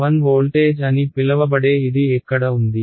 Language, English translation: Telugu, Where is it, known to be 1 voltage